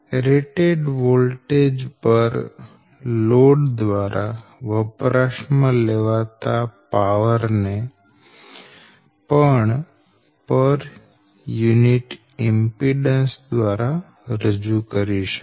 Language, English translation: Gujarati, right now the power consumed by the load, that is rated voltage, can also be expressed by per unit impedance